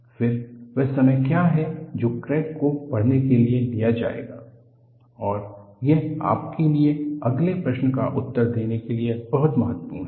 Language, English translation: Hindi, Then, what is the time that would take for a crack to grow, and this is very important for you to answer the next question